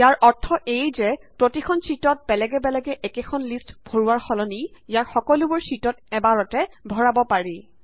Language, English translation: Assamese, This means, instead of entering the same list on each sheet individually, you can enter it in all the sheets at once